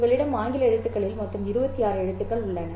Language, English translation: Tamil, You have in the English alphabet a total of 26 letters, right